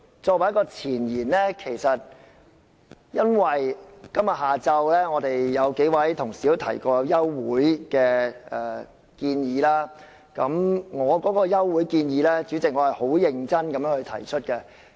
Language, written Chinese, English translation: Cantonese, 作為一個前言，我想指出，今天下午曾有數位同事提出休會待續的建議，而主席，我是很認真地提出休會待續的建議。, As a foreword I would like to point out that proposals for the adjournment of debate were put forth by a few Honourable colleagues this afternoon . President I am serious in proposing the adjournment of the debate